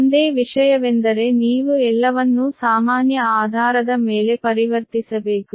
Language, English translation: Kannada, that only thing is that that you have to transform everything on a common base, right